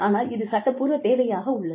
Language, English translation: Tamil, But, it is a legal requirement